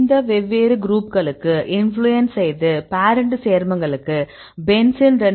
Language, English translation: Tamil, And this is the influence with these different groups; parent compound is a benzene; so this is given as 2